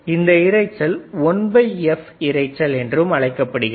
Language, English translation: Tamil, Flicker noise is also called 1 by by f noise